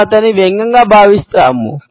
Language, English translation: Telugu, We think of him as sarcasm